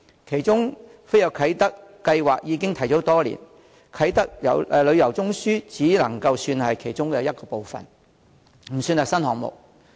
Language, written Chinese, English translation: Cantonese, 當中"飛躍啟德"計劃已提出多年，"啟德旅遊中樞"只能算是其中一部分，不算是新項目。, Among them Kai Tak Tourism Node is a part of the Kai Tak Fantasy project proposed years ago rather than a new initiative